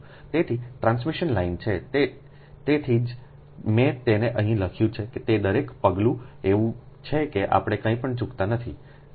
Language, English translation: Gujarati, thats why every step i have written it here such that we should not miss anything